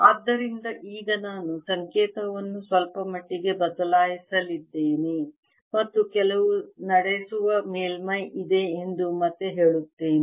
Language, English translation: Kannada, so now i am going to change notation a bit and let me again say there's some conducting surface